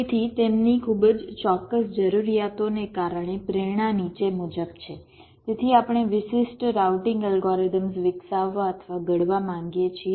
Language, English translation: Gujarati, ok, so the motivation is as follows: because of their very specific requirements, so we want to develop or formulate specialized routing algorithms